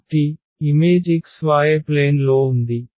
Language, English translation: Telugu, So, the image is there in the x y plane